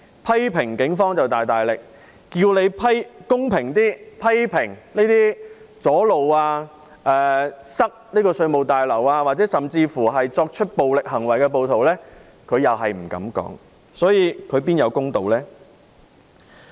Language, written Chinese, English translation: Cantonese, 批評警方就大大力，要求他公平一點批評那些阻路及阻塞稅務大樓，甚至是作出暴力行為的暴徒，他卻不敢多言，他哪會是公道？, He vigorously criticized the Police but dared not act fairly and criticized those who blocked roads and the access to the Revenue Tower and even acted violently . How can we say that he is fair?